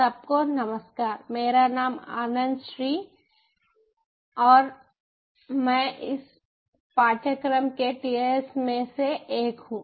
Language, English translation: Hindi, my name anand shri and i am one of the tas of this course